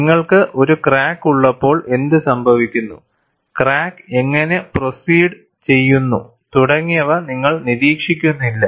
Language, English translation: Malayalam, You are not monitoring what happens when you have a crack, how the crack proceeds and so on and so forth